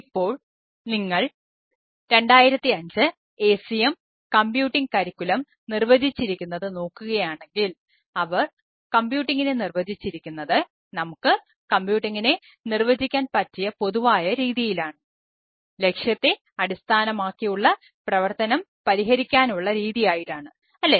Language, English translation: Malayalam, now, if you look that, as defined by acm computing curricula in two thousand five, as they defined computing, it say ah general way, we can ah define computing to mean ah as a mean to solve any goal oriented activity